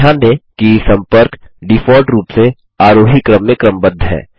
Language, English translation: Hindi, Notice, that the contacts are sorted in the ascending order, by default